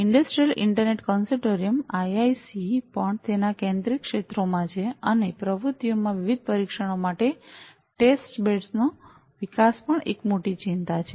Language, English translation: Gujarati, So, this Industrial Internet Consortium IIC has also among its focus areas and activities has the development of Testbeds for different trials also a major concern